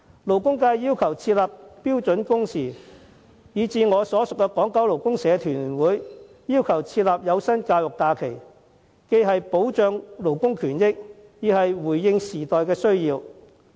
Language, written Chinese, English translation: Cantonese, 勞工界要求設立標準工時制度；我所屬的港九勞工社團聯會亦要求設立有薪教育假期，這既可保障勞工權益，亦回應時代的需要。, The labour sector has been calling for a standard working hours system . The Federation of Hong Kong and Kowloon Labour Unions of which I am a member has also been requesting for paid study leave . This measure not only protects the rights and interests of workers but also meets the needs of the new era